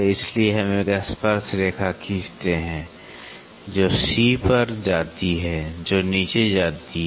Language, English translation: Hindi, So, we draw up a tangent which passes through sorry, which passes to C which goes down